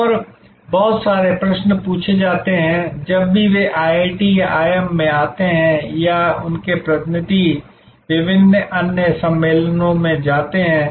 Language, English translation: Hindi, And lots of questions are asked, whenever they come to IITs or IIMs or their representatives visit various other conferences